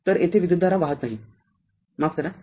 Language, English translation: Marathi, So, no current is flowing here right sorry